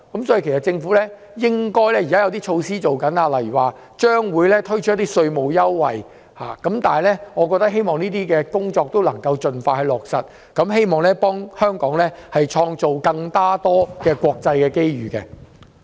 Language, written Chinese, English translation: Cantonese, 政府現正準備推出一些措施，例如將會推出稅務優惠，我希望這些工作盡快落實，為香港創造更多國際機遇。, The Government is now preparing to introduce among others tax concessions . I hope these services can soon be provided in Hong Kong so as to create more opportunities for our enterprises to go global